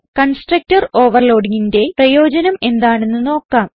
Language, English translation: Malayalam, Let us see the advantage of constructor overloading